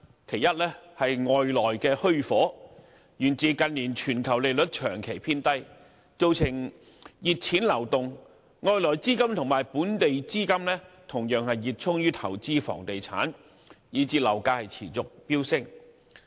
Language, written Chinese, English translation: Cantonese, 其一是"外來的虛火"，源自近年全球利率長期偏低，造成熱錢流動，外來資金與本地資金同樣熱衷於投資房地產，以致樓價持續飆升。, One of them is an external illusory demand stemming from an influx of hot money on the back of persistently low interest rates around the globe in recent years . Active investment of both foreign and local capital in the real estate market has caused a continuous surge in property prices